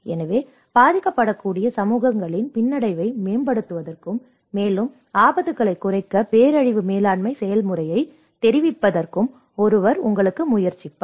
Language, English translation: Tamil, So, that is where one will try to you know improve the resilience of vulnerable communities and inform the disaster management process to reduce the further risks